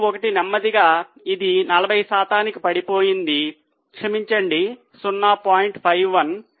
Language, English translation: Telugu, 51 slowly it has come down to 40 percent